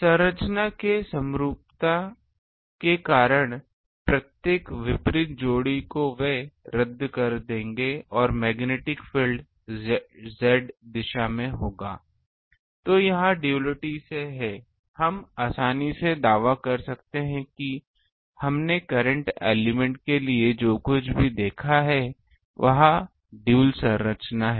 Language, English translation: Hindi, Because of the symmetry of the structure each opposite pair they will cancel and the magnetic field will in the Z direction So, this is from quality we can easily claim that whatever we have seen for current element it is a dual structure